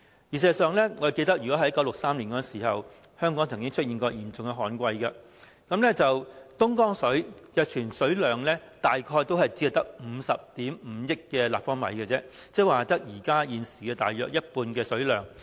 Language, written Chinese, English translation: Cantonese, 事實上，我記得在1963年時，香港曾經出現嚴重的旱季，東江水的儲水量大約只有50億 5,000 萬立方米而已，換言之，只有現時大約一半的水量。, I recall that in 1963 Hong Kong came across a serious drought . At that time the storage level of Dongjiang River reached about 5.05 billion cu m only which was about half of the current level